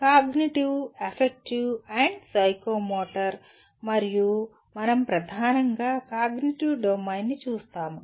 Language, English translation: Telugu, Cognitive, Affective, and Psychomotor and we dominantly will be looking at cognitive domain